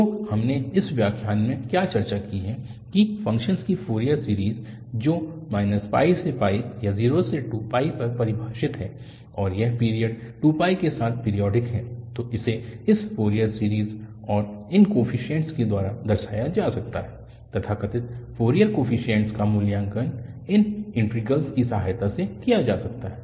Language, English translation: Hindi, So, what we have discussed in this lecture that the Fourier series of a function which is defining from minus pi to pi or 0 to 2 pi and it is periodic with period 2 pi then it can be represented by this Fourier series and these coefficients, so called the Fourier coefficients, can be evaluated with the help of these integrals